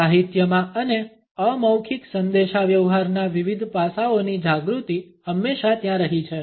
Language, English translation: Gujarati, In literature and awareness of different aspects of nonverbal communication has always been there